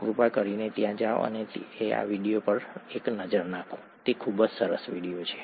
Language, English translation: Gujarati, Please go and take a look at these videos, they are very nice videos